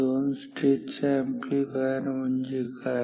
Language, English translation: Marathi, So, this is what a two stage amplifier is